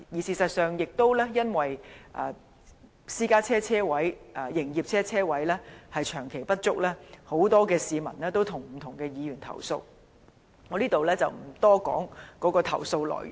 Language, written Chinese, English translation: Cantonese, 事實上，亦因為私家車車位和營業車車位長期不足，很多市民曾向不同的議員投訴，我在這裏不多談投訴內容。, In fact due to the prolonged shortage of parking spaces for both private and commercial vehicles many people have complained to different Members and I will not talk about the details of the complaints here